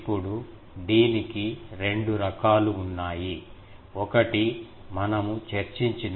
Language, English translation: Telugu, Now, that has two varieties; one is broadside array that we have discussed